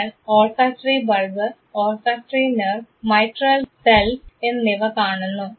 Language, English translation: Malayalam, You see the olfactory bulb olfactory nerve and the mitral cells